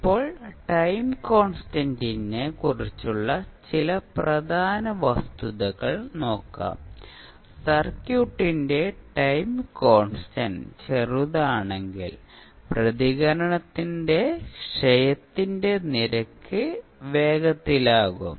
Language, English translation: Malayalam, Now, let see some important facts about the time constant, smaller the time constant of the circuit faster would be rate of decay of the response